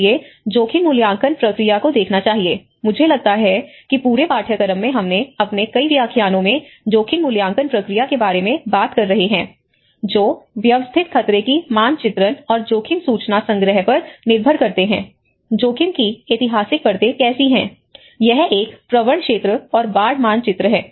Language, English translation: Hindi, So, one has to look at the risk assessment process I think in the whole course we are talking about many of our lectures are focusing on the risk assessment process which rely on systematic hazard mapping and risk information collections, how the historical layers of the risk also talks about yes this is a prone area and inundation maps